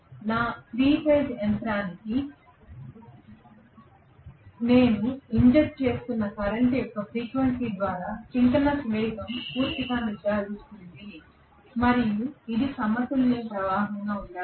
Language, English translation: Telugu, So the synchronous speed is fully determent by the frequency of the current that I am injecting to my 3 phase machine and it has to be a balanced current